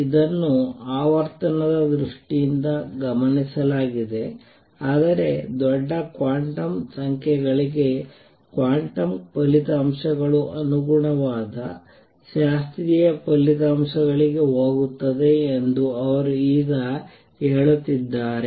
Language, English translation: Kannada, This is observed in terms of frequency, but he is saying now that for large quantum numbers quantum results go over to the corresponding classical results